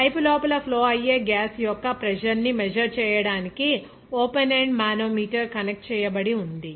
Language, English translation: Telugu, An open ended manometer is connected to measure the pressure of the flowing gas inside the pipe